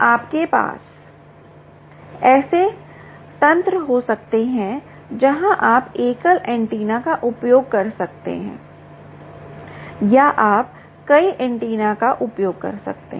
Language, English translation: Hindi, you can have mechanisms where you can use single antenna or you can use multiple antenna